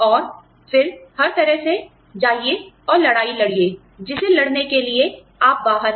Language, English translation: Hindi, And then, by all means, go and fight the battle, that you are out there, to fight